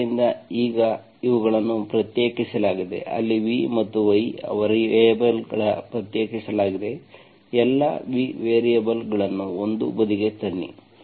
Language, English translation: Kannada, So now these are separated, where v and y are variables are separated, bring all the v variables one side